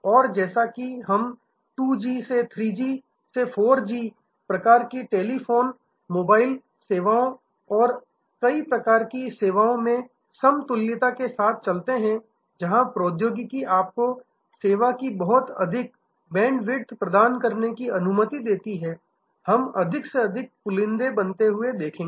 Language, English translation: Hindi, And as we go from 2G to 3G to 4G types of mobile telephony services and the equivalence in many other type of services, where technology allows you to provide a much higher bandwidth of service, we will see a more and more bundling happening